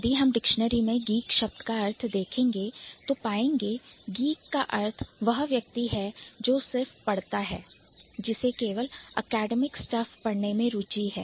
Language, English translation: Hindi, If you check the dictionary the meaning of geek is somebody who just reads, who has only been interested in reading and academic stuff